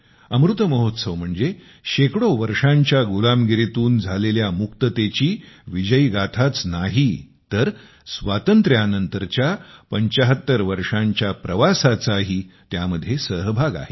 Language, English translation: Marathi, The Amrit Mahotsav not only encompasses the victory saga of freedom from hundreds of years of slavery, but also the journey of 75 years after independence